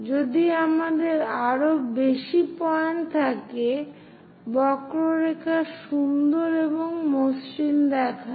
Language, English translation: Bengali, If we have more number of points, the curve looks nice and smooth